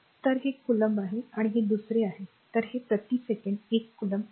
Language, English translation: Marathi, So, this is coulomb, this is second so, it will be 1 coulomb per second right